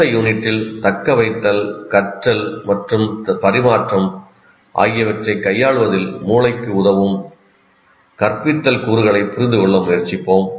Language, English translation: Tamil, And in the next unit, we'll try to understand the instructional components that facilitate the brain in dealing with retention, learning and transfer